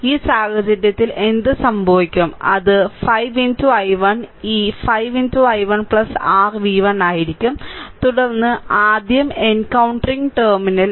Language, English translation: Malayalam, So, in this case, what will happen it will be 5 into i 1 this 5 into i 1 plus your v 1, then encountering minus terminal first